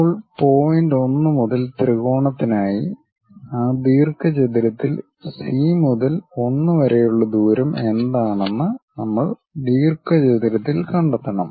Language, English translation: Malayalam, Now, for the triangle from point 1 we have to locate it on the rectangle further what is the distance from C to 1 on that rectangle